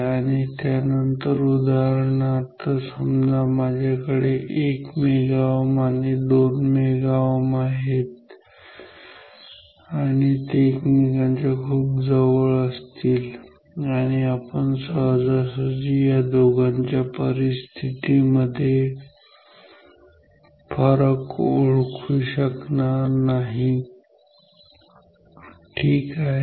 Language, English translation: Marathi, And, then say for example, now if I have 1 mega ohm and 2 mega ohm, those two will also be very close and we cannot distinguish easily between those two positions ok